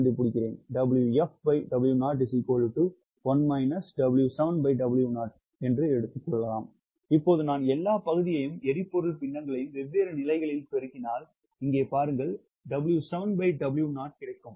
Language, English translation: Tamil, now see here, if i multiply the all the fraction, fuels, fractions at different stages, i actually get w seven by w naught